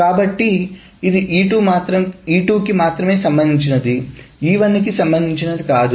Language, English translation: Telugu, So it is concerned only about E2 and not about E1